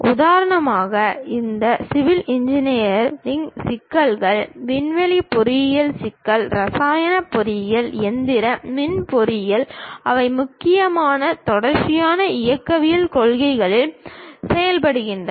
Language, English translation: Tamil, For example: all these civil engineering problem, aerospace engineering problem, chemical engineering, mechanical, electrical engineering; they mainly work on continuum mechanics principles